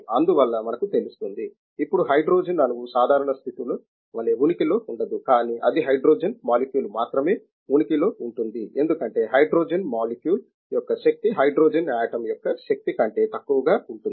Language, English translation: Telugu, Therefore, we will know, now hydrogen cannot exist in the normal conditions as hydrogen atom, but it can exists only hydrogen molecule because the energy of the hydrogen molecule is lower than that of the energy of the hydrogen atom